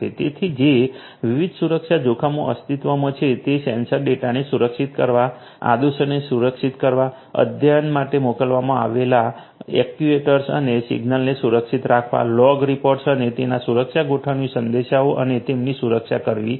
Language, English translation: Gujarati, So, the different security risks that exist would be with securing the sensor data, securing the commands, securing the actuators and the signals that are sent for actuation, log reports and their security configuration messages and their security and so on